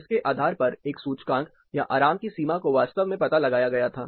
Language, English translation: Hindi, Based on this, an index or the boundary limits of comfort was actually tuned